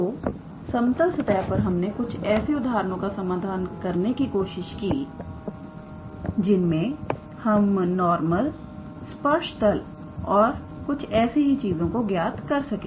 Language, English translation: Hindi, So, in the level surfaces we sort of tried to cover a few examples where we can calculate the normal tangent plane and things like that